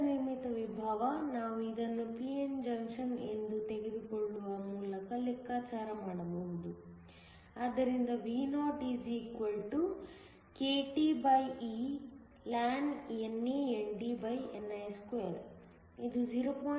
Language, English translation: Kannada, The built in potential, we can calculate by simply taking this to be a p n junction, so that Vo= kTeln NANDni2 , this works out to be 0